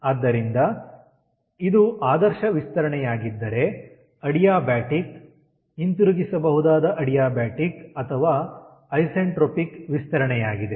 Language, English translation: Kannada, so if this is ideal expansion, then it will be adiabatic, reversible adiabatic or isentropic expansion